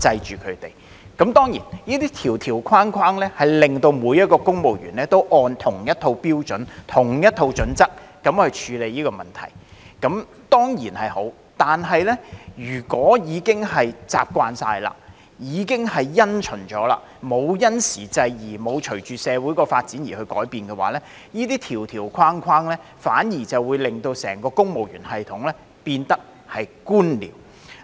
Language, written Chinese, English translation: Cantonese, 這些條條框框令到每一位公務員都按着同一套標準/準則來處理問題，這當然是好，但如果已經完全習慣及因循，沒有因時制宜，沒有隨着社會發展而改變的話，這些條條框框反而會令整個公務員系統變得官僚。, This is of course a good thing that every civil servant deals with the problems according to the same set of standardscriteria as bound by the rules and regulations . Nevertheless if they have become accustomed to those rules and regulations and just carry on the same old practices without adapting to the times and changing with societys evolving circumstances the rules and regulations will only make the entire civil service system bureaucratic